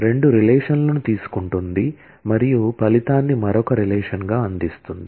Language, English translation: Telugu, Takes two relations and returns a result as another relation